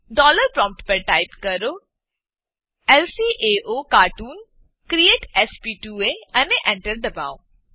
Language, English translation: Gujarati, At the dollar prompt, type lcaocartoon create sp2a , press Enter